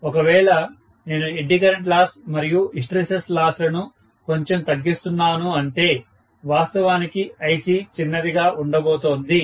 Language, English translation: Telugu, If I am decreasing the eddy current losses and hysteresis losses quite a bit, that means Ic is going to be really really small, right